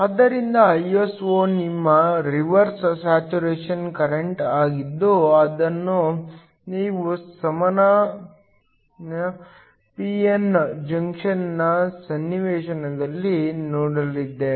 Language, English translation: Kannada, So, Iso is your reverse saturation current which we have seen earlier in the context of a regular p n junction